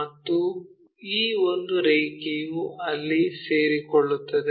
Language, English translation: Kannada, And one of these line coincides there